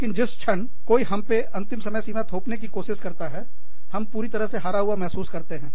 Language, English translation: Hindi, But, the minute, somebody tries to impose, deadlines on us, we feel completely lost